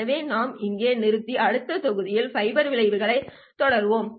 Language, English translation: Tamil, So we will stop here and continue with the fiber effects in the next module